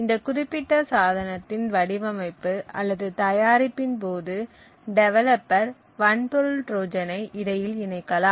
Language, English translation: Tamil, Now what could happen is during the design or manufacture of this particular device, developer could insert a hardware Trojan